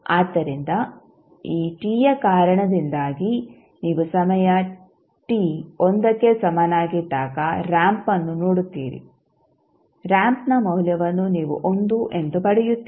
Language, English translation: Kannada, So, because of this t you will see a ramp at time t is equal to 1 you will get the value of ramp as 1